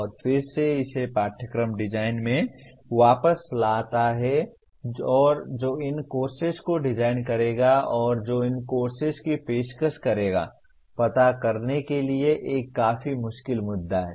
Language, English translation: Hindi, And again it brings it back to curriculum design and who will design these courses and who will offer these courses is a fairly difficult issue to address